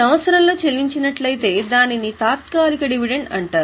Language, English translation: Telugu, If it is paid during the year it is called as interim dividend